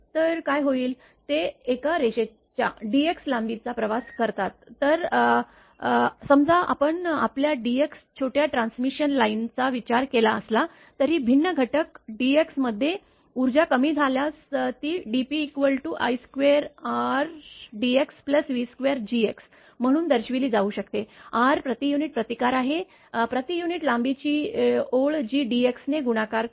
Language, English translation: Marathi, So, what will happen that as they travel over a length dx of a line suppose you consider a transmission line of small your dx though power loss in the differential element dx it can be expressed as a dp is equal to i square R dx plus v square G into d x, R is the resistance of the line per unit length and that multiplied by dx right